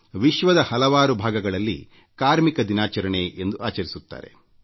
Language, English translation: Kannada, In many parts of the world, it is observed as 'Labour Day'